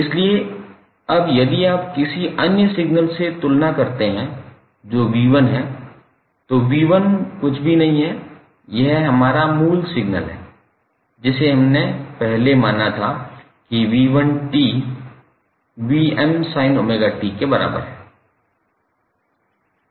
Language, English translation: Hindi, So, now if you compare with another signal which is V1T and V1T is nothing but our original signal which we considered previously, that is V1 t is equal to vm sine omega t